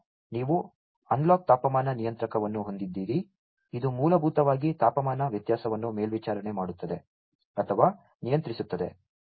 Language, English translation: Kannada, Then you have the analog temperature controller, which will basically monitor or control the temperature variation